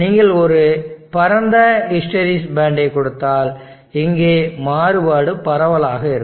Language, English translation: Tamil, If you give a wide hysteresis band then the variation here will be wider